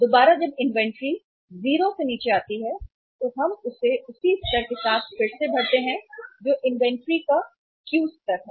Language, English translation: Hindi, Again, when the inventory comes down to 0 then we replenish it with the same level that is the Q level of inventory